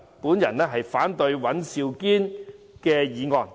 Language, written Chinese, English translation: Cantonese, 我反對尹兆堅議員的議案。, I oppose Mr Andrew WANs motion